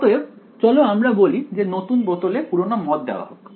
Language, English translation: Bengali, So, let us as they say put old wine in new bottle alright